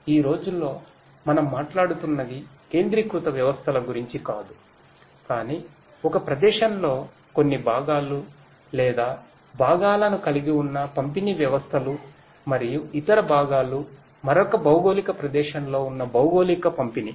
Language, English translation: Telugu, Nowadays we are talking about not centralized systems, but distributed systems which have certain parts or components in one location and other parts are geo distributed located in another geographic location